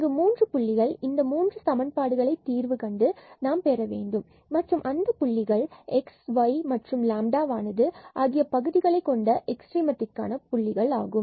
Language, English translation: Tamil, There are 3 points we have to we have to get by solving these 3 equations and that those points will be the points of extrema in terms of the x y